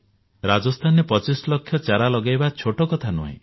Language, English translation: Odia, To plant 25 lakhs of sapling in Rajasthan is not a small matter